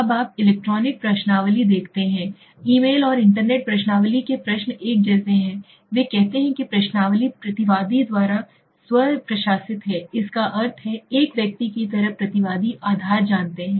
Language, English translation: Hindi, Now electronic questionnaire you see, the questions for email and internet questionnaires are very similar right, he says the questionnaire is self administrated by the respondent that means the respondent like a personal you know one to one basis then you do it